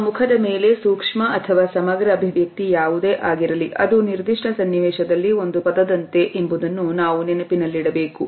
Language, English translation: Kannada, We also have to remember that a single expression on our face whether it is micro or macro is like a word in a particular context